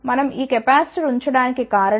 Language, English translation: Telugu, The reason we put these capacitor is